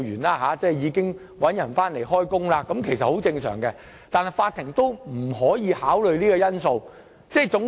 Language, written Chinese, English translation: Cantonese, 聘請新僱員回來工作，其實是很正常的做法，但法院卻不可以考慮這個因素。, Engaging a replacement is a very normal practice but the court cannot take that factor into account